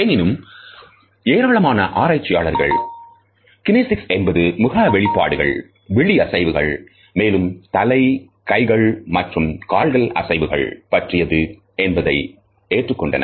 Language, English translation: Tamil, However, most of the researchers agree that the study of kinesics include facial expressions, movement of eyes, head, hand, arms, feet and legs